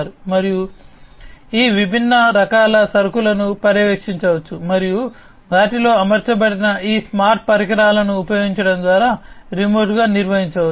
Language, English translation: Telugu, And each of these different types of cargoes can be monitored and can be maintained remotely through the use of these smart equipments that are deployed in them